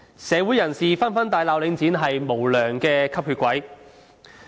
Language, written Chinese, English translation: Cantonese, 社會人士紛紛大罵領展是無良吸血鬼。, Society denounces Link REIT as an unscrupulous vampire